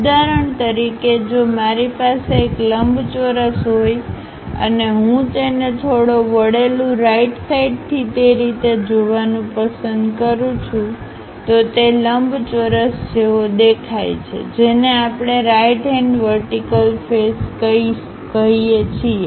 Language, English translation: Gujarati, For example, if I have a rectangle and I would like to view it from slightly inclined right direction the way how that rectangle really looks like that is what we call right hand vertical face thing